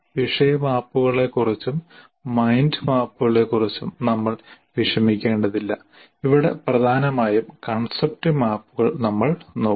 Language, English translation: Malayalam, So we will not worry about the topic maps and mind maps and mainly look at concept map here